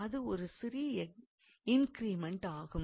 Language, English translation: Tamil, So, it is a small increment